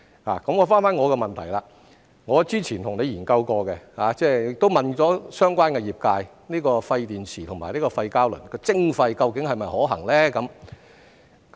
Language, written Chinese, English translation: Cantonese, 回到我的補充質詢，我之前曾與局長研究過，亦詢問了相關業界，廢電池和廢膠輪的徵費究竟是否可行呢？, Back to my supplementary question . Earlier on I have studied with the Secretary and asked the relevant industry whether the charging for waste batteries and waste rubber tyres is feasible